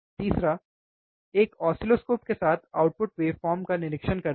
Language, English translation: Hindi, Third, with an oscilloscope observe the output waveform